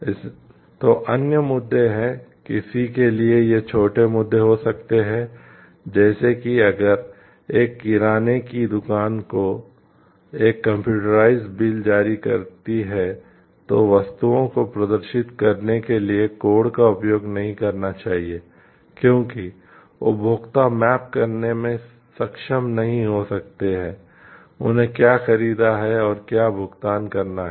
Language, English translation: Hindi, So, there are other issues also like if somebody this could be small issues like, if a grocery store is which issues a computerized bill should not use clue codes to display items as the consumers may not be able to map, what they have purchased and what they are paying for